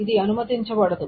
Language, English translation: Telugu, This is not allowed